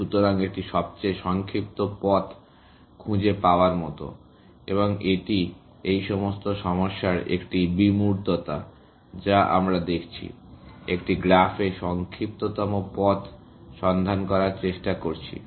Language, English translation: Bengali, So, it is like finding the shortest path, and that is an abstraction of all these problems that we are looking at, essentially; finding shortest path in a graph